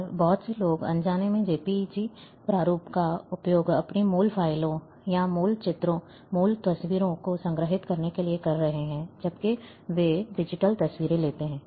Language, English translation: Hindi, And lot of people, unknowingly are using JPEG format to store their original files, or original images, original photographs, when they take digital photographs